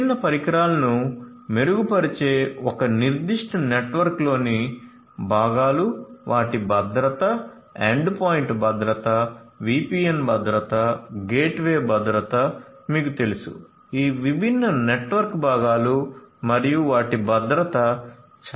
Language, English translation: Telugu, Components in a particular network which improves the different devices, their security endpoint security, VPN security, you know the gateway security all of these different network components and their security are very important